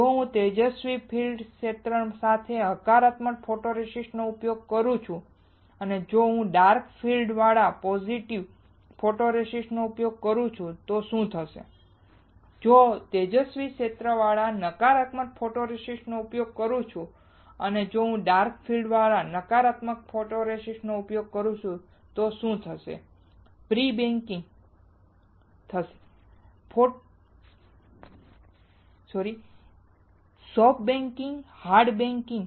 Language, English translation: Gujarati, What if I use positive photoresist with bright field, what will happen if I use positive photoresist with dark field, what will happen, if I use negative photoresist with bright field and what will happen if I use negative photoresist with dark field What is prebaking, soft baking hard baking